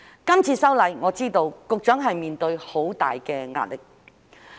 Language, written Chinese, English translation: Cantonese, 這次修例，我知局長面對很大的壓力。, I know that the Secretary is under very great pressure in this legislative amendment